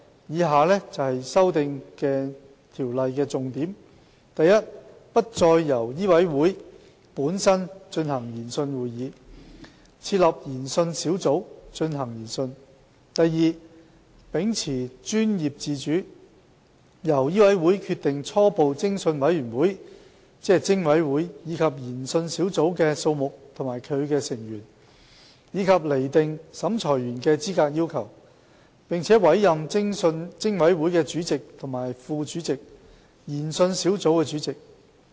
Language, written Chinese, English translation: Cantonese, 以下為修訂條例的重點： a 不再由醫委會本身進行研訊會議，而另設研訊小組進行研訊； b 秉持專業自主，由醫委會決定初步偵訊委員會及研訊小組的數目和其成員，以及釐定審裁員的資格要求；並委任偵委會的主席及副主席，以及研訊小組主席。, Major amendments are as follow a Inquiry meetings will no longer be conducted by MCHK and Inquiry Panels IPs will be set up under the auspices of MCHK to conduct inquiries; b in recognition of professional autonomy MCHK will decide on the number and membership of Preliminary Investigation Committees PICs and IPs set qualification requirements of assessors appoint chairman and deputy chairman of PIC and chairperson of IP